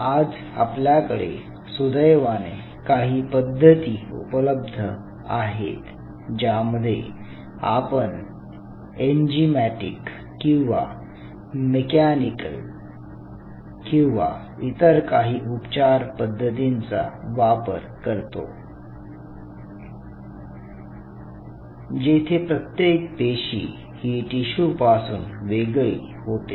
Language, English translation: Marathi, So now you have to have a way by virtue of which you use some form of enzymatic or mechanical or some treatment, where individual cell dissociate out from the tissue